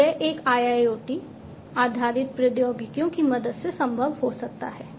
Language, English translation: Hindi, So, this can be possible with the help of a IIoT based technologies